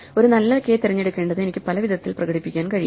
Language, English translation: Malayalam, And in order to choose a good k, I need so this I can express in many different ways